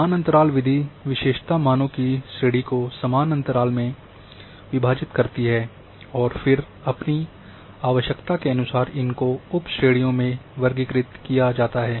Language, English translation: Hindi, The equal interval method divides the range of attribute values in equal size of ranges then the features are classified based on those sub ranges